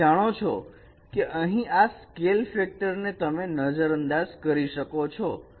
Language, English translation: Gujarati, So you can ignore the scale factor here